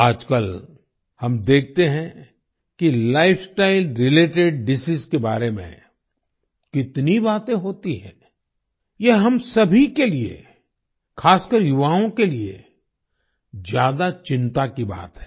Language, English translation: Hindi, Nowadays we see how much talk there is about Lifestyle related Diseases, it is a matter of great concern for all of us, especially the youth